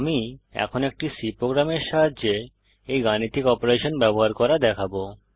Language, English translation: Bengali, I will now demonstrate the use of these arithmetic operations with the help of a C program